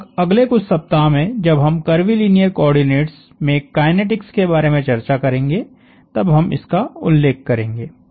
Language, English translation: Hindi, We will refer to that, this point when we start talking of kinetics in curvilinear coordinates in about week or so